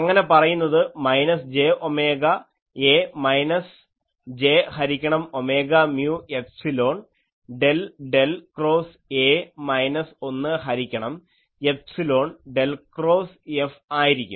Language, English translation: Malayalam, So, that will be minus j omega A minus j by omega mu epsilon del del cross A minus 1 by epsilon del cross F